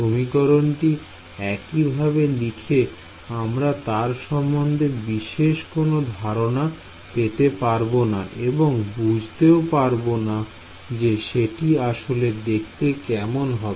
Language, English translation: Bengali, So, writing this expression like this you do not get much intuition of what is it actually look like